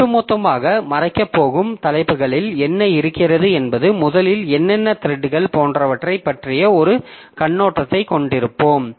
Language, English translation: Tamil, So overall for the topics that we are going to cover is first we'll have an overview of what is threads, etc